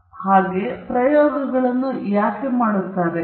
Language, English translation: Kannada, So, why do we do experiments